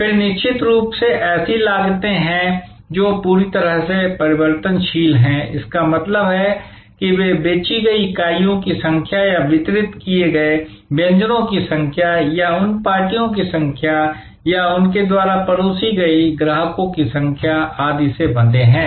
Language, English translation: Hindi, Then of course, there are costs which are totally variable; that means, they are quite tightly tied to the number of units sold or number of dishes delivered or number of parties served or number of customer served and so on